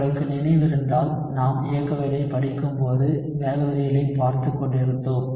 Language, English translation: Tamil, So if you remember when we were studying kinetics, we were looking at rate laws